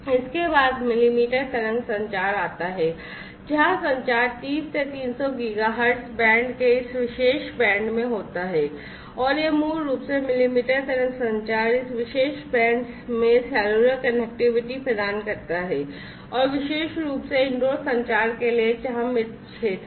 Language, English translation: Hindi, Then comes the millimetre wave communication, where the communication happens in this particular band of the spectrum 30 to 300 Giga hertz band and this basically millimetre wave communication offer cellular connectivity in this particular band, and particularly for indoor communication, where there are dead zones and so on this is also particularly attractive